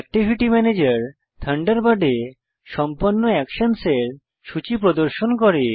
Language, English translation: Bengali, This is simple too.The Activity Manager displays the list of actions carried out in Thunderbird